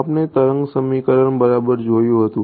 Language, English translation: Gujarati, We had looked at the wave equation right